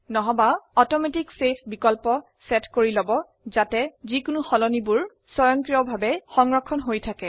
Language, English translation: Assamese, Alternately, set the Automatic Save option so that the changes are saved automatically